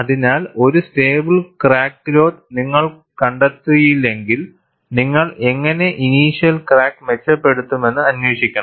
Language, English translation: Malayalam, So, if you do not find a stable crack growth, you must go and investigate how you could improve the initial crack